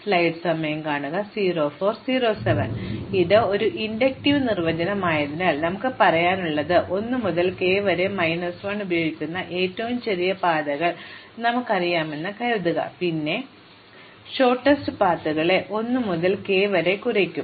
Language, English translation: Malayalam, So, now since this is an inductive definition, what we have to say is, supposing we know the shortest paths which use 1 to k minus 1, then how do I compute the shortest paths that use 1 to k